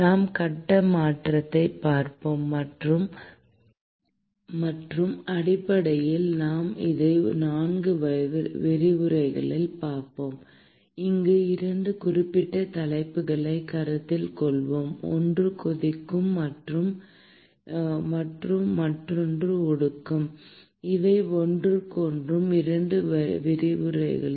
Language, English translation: Tamil, We will look at phase change and essentially, we will be looking at it in 4 lectures, where we will consider 2 particular topics one is boiling and the other one is condensation each of these in 2 lectures